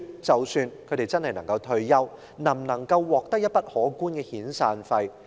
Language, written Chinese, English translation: Cantonese, 即使他們真的能退休，能否獲取一筆可觀的遣散費？, Even if they can really retire will they receive a substantial severance payment?